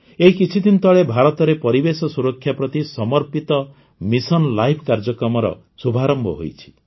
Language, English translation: Odia, A few days ago, in India, Mission Life dedicated to protect the environment has also been launched